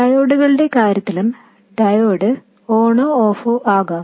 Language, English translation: Malayalam, In case of diodes also, the diode could be on or off